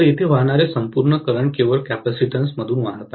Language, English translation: Marathi, So, the entire current that is flowing here has to flow only through the capacitance